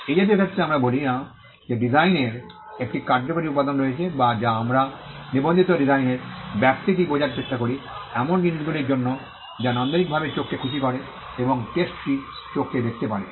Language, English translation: Bengali, In such cases we do not say that design has a functional element we try to understand the scope of a registered design is for things that are aesthetically pleasing to the eye and the test is what the eye can see